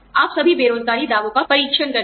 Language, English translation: Hindi, You audit all unemployment claims